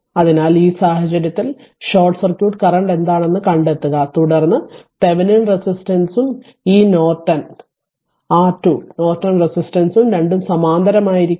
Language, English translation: Malayalam, So, in this case what we will do we have to find out that what is short circuit current right and then we have to find out Thevenin resistance and this Norton and your Thevenin Norton resistance current source both will be in parallel right